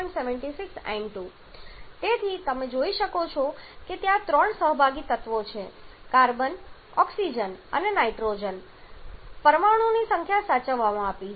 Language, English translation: Gujarati, So, you can see that there are 3 participating element carbon, oxygen and nitrogen and the number of atoms have been conserved